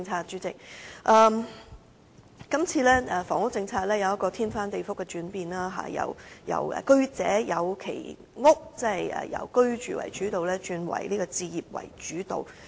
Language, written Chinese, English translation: Cantonese, 主席，這次房屋政策出現翻天覆地的轉變，由過去的"居者有其屋"為主導，改為置業主導。, President a dynastic change has been made to the housing policy this time around from the previous basis of having a roof over ones head to that of home ownership